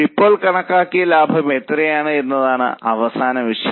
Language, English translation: Malayalam, Now the last point is what is the estimated profit